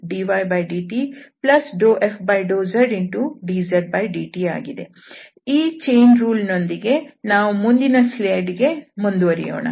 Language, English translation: Kannada, So with this chain rule, let us continue here with the next slide